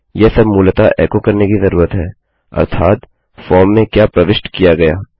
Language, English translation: Hindi, This is all I need to basically echo out, i.e, what has been posted in a form